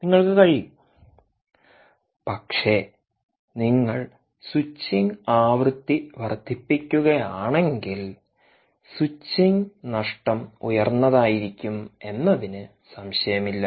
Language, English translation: Malayalam, but if you increase the switching frequency, the, the switching losses are going to be high